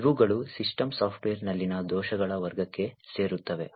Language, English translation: Kannada, These fall into this category of bugs in the systems software